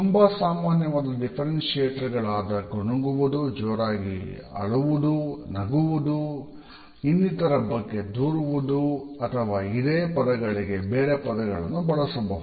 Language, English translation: Kannada, The more common differentiators include whispering the loud voice crying, laughing, complaining etcetera with various synonyms